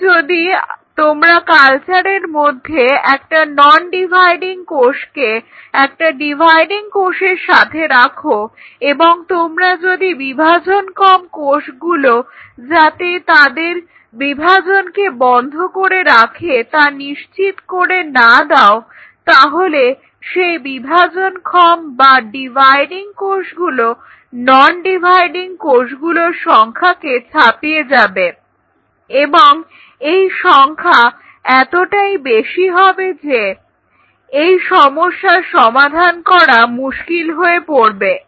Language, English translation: Bengali, Now if you put a non dividing cell with a dividing cell in a culture and without ensuring that the dividing cells a rest is division the dividing cell will outnumber the non dividing cells and so much so that you lose tab on the problem that you know you will not be able to even locate the non dividing cell